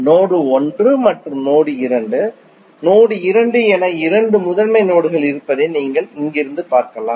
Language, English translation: Tamil, You can see from here there are two principal nodes that is node 1 and node 2, node 2 you can take it as a reference node